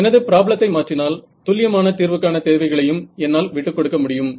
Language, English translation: Tamil, So, I have if I change my problem I can relax my requirements on the accuracy of solution